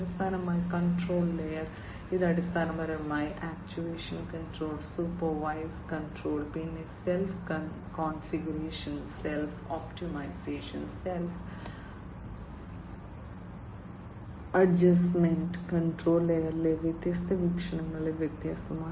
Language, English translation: Malayalam, And finally, the control layer, this basically talks about actuation control, then supervised control, then you know self configuration, self optimization, self adjustment, which are different again different perspectives of the control in the control layer